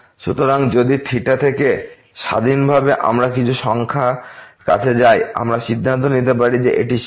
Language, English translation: Bengali, So, if the independently of theta we are approaching to some number, we can conclude that that is the limit